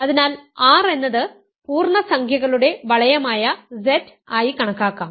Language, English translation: Malayalam, So, let us consider R to be Z, the ring of integers